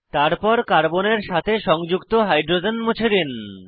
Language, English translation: Bengali, And also, delete hydrogen attached to the carbon